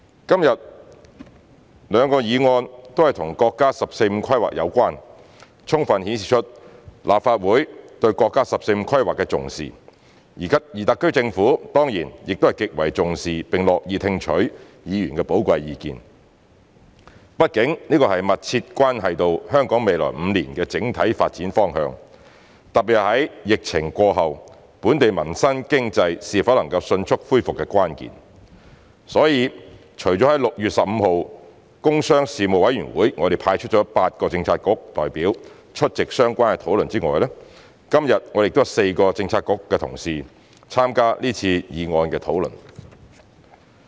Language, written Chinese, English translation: Cantonese, 今天兩個議案都和國家"十四五"規劃有關，充分顯示出立法會對國家"十四五"規劃的重視，而特區政府當然亦極為重視並樂意聽取議員的寶貴意見，畢竟這密切關係到香港未來5年的整體發展方向，特別在疫情過後本地民生經濟是否能迅速恢復的關鍵，所以除了在6月15日的工商事務委員會我們派出8個政策局的代表出席相關討論外，今天亦有4個政策局的同事參加這次議案的討論。, The SAR Government certainly takes this seriously and is willing to listen to Members valuable views because after all this is closely related to the general direction of Hong Kongs development in the coming five years . Particularly this is the key to the speedy recovery of Hong Kongs livelihood and economy after the epidemic . Therefore apart from sending the eight Bureau representatives to attend the relevant discussion at the meeting of the Panel on Commerce and Industry on 15 June we also have four Bureau colleagues taking part in this motion debate today